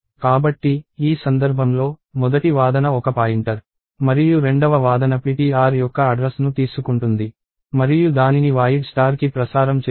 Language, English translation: Telugu, So, in this case this one, the first argument itself is a pointer and the second argument is taking the address of ptr and casting that to void star